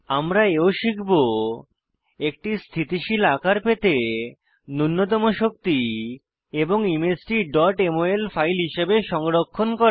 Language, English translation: Bengali, We will also learn * To Minimize energy to get a stable conformation and * Save the image as .mol file